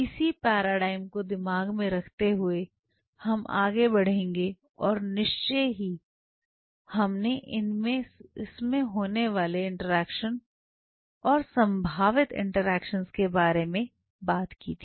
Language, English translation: Hindi, So, keeping this paradigm in mind we will move on to and of course, we talked about the interaction between this is the kind of interactions which are possibly happening